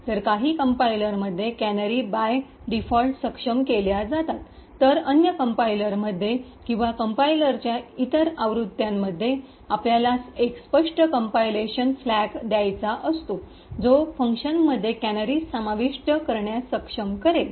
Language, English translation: Marathi, So, in some compilers the canaries are enable by default while in other compiler, other versions of the compiler you would have to give an explicit compilation flag that would enable canaries to be inserted within functions